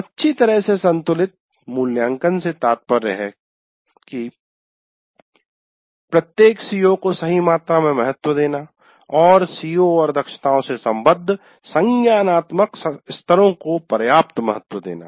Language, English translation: Hindi, Well balanced in the sense, right amount of weightage to each C O and adequate weight age to the cognitive levels associated with the C O's and competencies